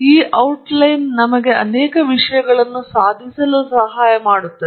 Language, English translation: Kannada, And this outline helps us accomplish several things